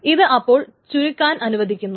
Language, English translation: Malayalam, So this that will allow compression